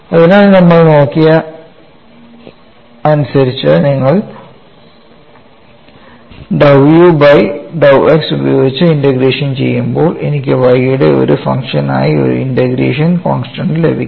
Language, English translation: Malayalam, So, when I go to dou v by dou y when I integrate, I get a integration constant as function of x